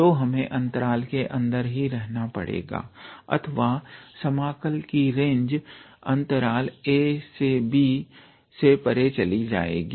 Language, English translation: Hindi, So, we have to stay inside the interval otherwise the range of integral would be beyond the interval a to b